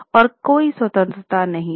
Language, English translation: Hindi, So, there was no independence